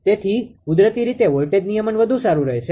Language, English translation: Gujarati, So, naturally voltage regulation will be better